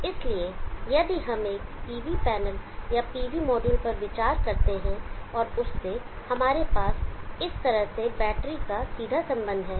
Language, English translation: Hindi, So if we consider a PV panel or PV module and to that we have a direct connection of the batter like this